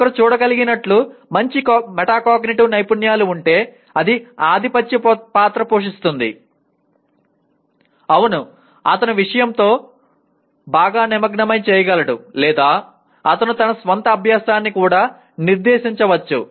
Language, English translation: Telugu, So as one can see it can play a dominant role if one has good metacognitive skills; yes, he can/ he will engage better with the subject matter or he can also direct his own learning